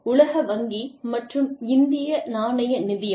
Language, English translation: Tamil, World Bank and Indian Monetary Fund